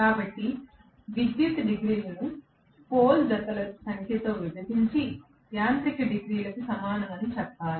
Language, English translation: Telugu, So, I should say electrical degrees divided by the number of pole pairs is equal to the mechanical degrees